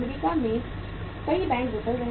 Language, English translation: Hindi, Many banks failed in US